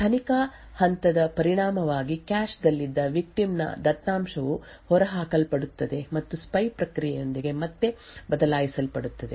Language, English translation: Kannada, As a result of the probe phase victim data which was present in the cache gets evicted out and replaced again with the spy process